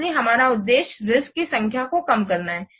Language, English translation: Hindi, So our objective is to reduce the number of risks